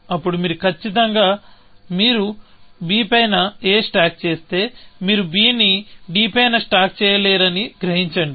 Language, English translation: Telugu, Then, you want to certainly, realize that if you stack a on to b, you would not be able stack b on to d